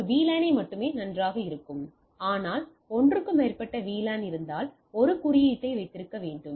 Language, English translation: Tamil, So, when only one VLAN is fine, but if you have more than one VLAN then I need to have a tagging